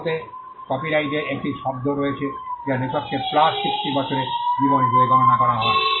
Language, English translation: Bengali, Copyright in India has a term which is computed as life of the author plus 60 years